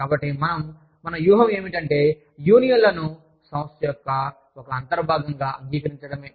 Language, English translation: Telugu, So, we integrate the union, and make it an integral part of the organization